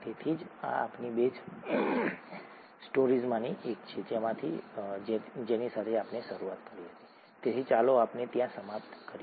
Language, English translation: Gujarati, So this is this is one of our base stories with which we started out, so let’s finish up there